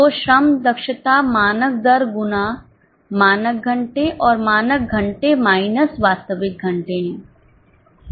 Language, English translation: Hindi, So, labour efficiency variance is standard rate into standard hours minus actual hours